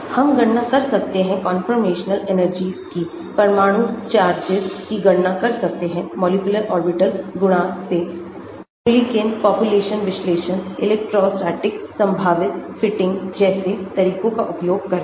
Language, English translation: Hindi, We can calculate conformational energies, partial atomic charges calculated from the molecular orbital coefficient using methods such as Mulliken population analysis, electrostatic potential fitting all these